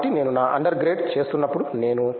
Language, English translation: Telugu, So, while I was doing my under grade I was